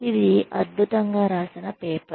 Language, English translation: Telugu, It is a brilliantly written paper